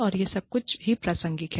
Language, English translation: Hindi, And, all of this is, very contextual